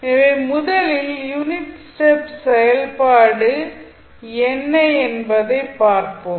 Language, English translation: Tamil, So, first let us see what is unit step function